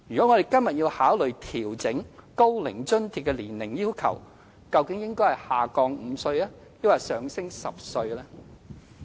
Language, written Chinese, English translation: Cantonese, 我們今天如要考慮調整高齡津貼的年齡要求，究竟應該是把門檻降低5歲，還是上調10歲呢？, If we were to consider an adjustment of the age requirement for receiving OAA today should we lower the age threshold by five years or raise it by 10 years?